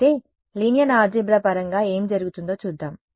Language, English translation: Telugu, But let us see what it what happens in terms of linear algebra